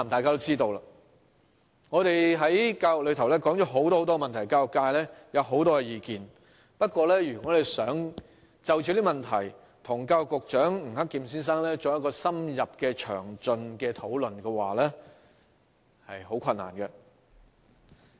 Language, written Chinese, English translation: Cantonese, 教育界對很多教育問題有很多意見，但要就這些問題與教育局局長吳克儉先生作深入詳盡的討論，卻很困難。, The education sector has many views on many education issues but it has been very difficult to discuss these issues in depth and in detail with the Secretary for Education Mr Eddie NG